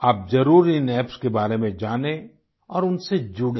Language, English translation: Hindi, Do familiarise yourselves with these Apps and connect with them